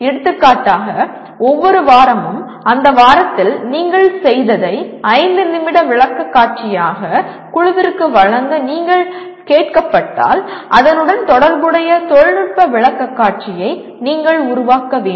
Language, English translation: Tamil, For example if you are asked to make a 5 minute presentation every week to the group what exactly that you have done during that week, you should be able to make the corresponding technical presentation